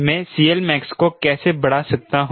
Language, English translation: Hindi, how can i increase c l max